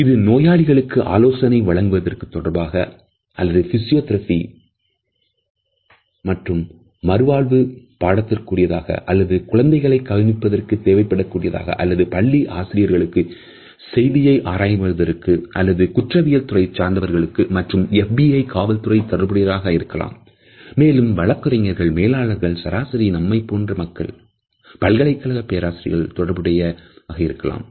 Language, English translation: Tamil, Whether it is related with patient counseling or physiotherapies or rehabilitation courses on nurses etcetera or whether it is the job of a caregiver of children with special needs or it is the job of a school teacher or people who are working as information analyst or criminologists or FBI of police interrogators etcetera or practicing lawyers managers or even, us, simple university teachers